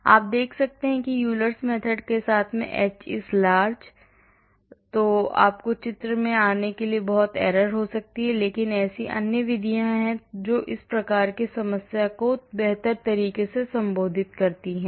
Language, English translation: Hindi, As you can see the h is large with Euler’s method you can have so much error coming into picture but there are other methods which can address this type of problem in a better way